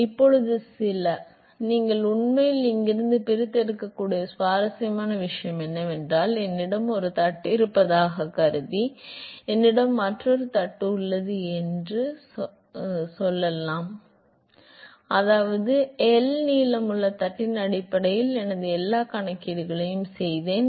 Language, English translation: Tamil, Now, the some; the interesting thing you can actually extract from here, suppose I want to find out let us say I have another plate supposing I have a plate which is I have done all my calculations on experiments based on the plate whose length is L